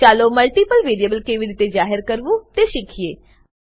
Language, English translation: Gujarati, let us learn how to declare multiple variables